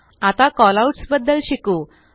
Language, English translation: Marathi, Now, lets learn about Callouts